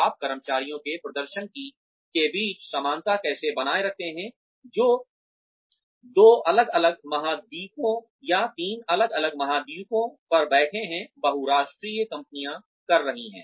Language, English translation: Hindi, How do you maintain parity between the performance of employees, who are sitting on two different continents, or three different continents, multinational companies are doing